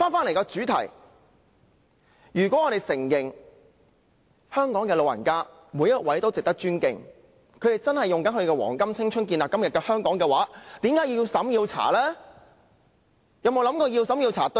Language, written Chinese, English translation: Cantonese, 回到主題，如果我們承認香港的每一位長者都值得尊敬，他們真的以自己的黃金青春建立今時今日的香港，為甚麼政府要對他們進行資產審查呢？, Coming back to the theme of the motion if we admit that each and every elderly person in Hong Kong deserves respect as they really contributed their prime to building todays Hong Kong why does the Government have to make them take a means test?